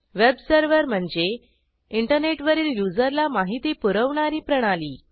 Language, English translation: Marathi, A web server is a system that delivers content to end users over the Internet